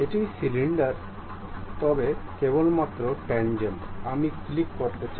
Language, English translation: Bengali, This is the cylinder, but tangent only I would like to have click ok